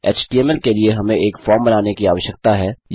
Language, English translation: Hindi, For the html we need to create a form